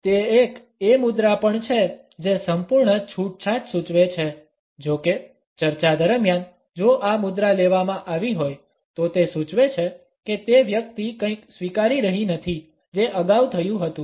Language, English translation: Gujarati, It is also a posture which suggest a total relaxation; however, during discussions if this posture has been taken up, it suggests that the person is not accepting something which is happened earlier